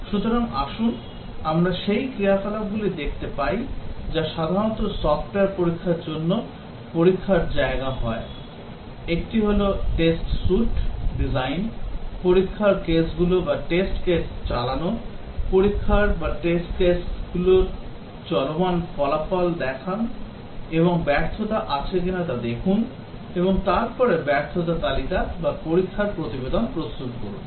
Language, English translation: Bengali, So let us see the activities that are typically taken the test place for testing software; one is Test Suite Design, Run test cases, Check results of the running of the test case and see if there are failures, and then prepare the failure list or the test report